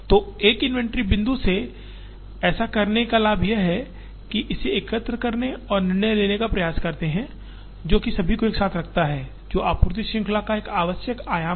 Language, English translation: Hindi, So, the advantage of doing this from an inventory point of view is to try and aggregate it or try and make decisions, which are for everybody together, which is an essential dimension of supply chain